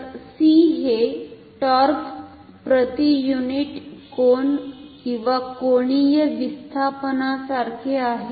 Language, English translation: Marathi, So, c is like torque per unit angle or angular displacement